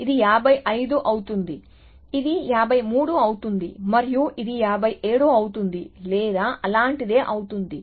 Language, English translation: Telugu, So, this becomes 55, this becomes 53 and this becomes 57 or something like that